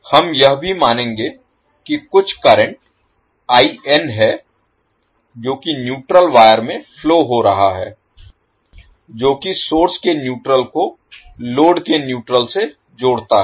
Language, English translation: Hindi, We will also assume there is some current IN which is flowing in the neutral wire connecting neutral of the source to neutral of the load